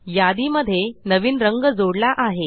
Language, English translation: Marathi, The new color is added to the list